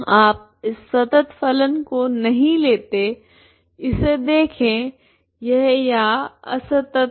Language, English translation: Hindi, You don t take this continuous function so that see this it is discontinuous here